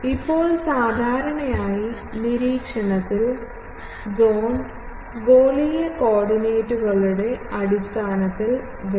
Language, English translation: Malayalam, Now, generally in the observation zone, we want the whole thing in terms of spherical coordinates